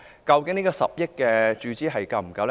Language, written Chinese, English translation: Cantonese, 究竟10億元的注資是否足夠？, Is the injection of 1 billion sufficient?